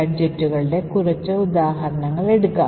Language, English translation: Malayalam, So, let us take a few examples of gadgets